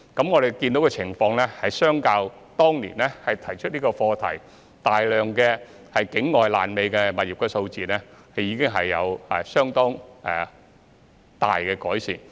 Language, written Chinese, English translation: Cantonese, 我們看到的情況是，對比當年提出這個課題時有大量境外"爛尾"物業的數字，情況已經有相當大的改善。, Compared with the large number of uncompleted properties outside of Hong Kong when the issue was raised we have seen that the situation has improved quite considerably